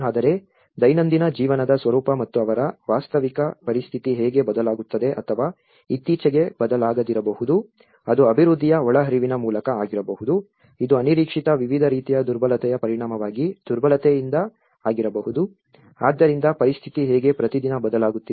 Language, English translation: Kannada, But the nature of the daily life and how their actual situation changes or which may have changed very recently, it could be through the development input, it could be by the vulnerability as a result of the unexpected different forms of vulnerability, so how a situation is changing every day